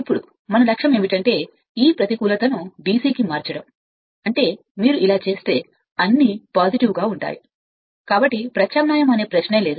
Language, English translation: Telugu, Now our objective will be to convert this negative to DC; that means, if it if you doing like this, so all will be your what you call positive, so no question of alternating